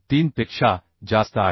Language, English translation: Marathi, 6 which is greater than 1